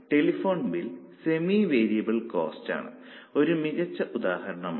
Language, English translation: Malayalam, So, maintenance becomes a very good example of semi variable costs